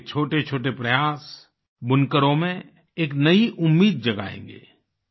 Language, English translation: Hindi, Even small efforts on your part will give rise to a new hope in weavers